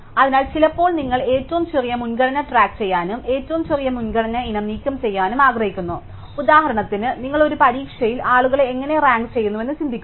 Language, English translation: Malayalam, So, sometimes you want to keep track of the smallest priority and remove the smallest priority item, just think of how for example, you rank people in an exam